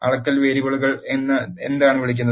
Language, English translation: Malayalam, And what are called measurement variables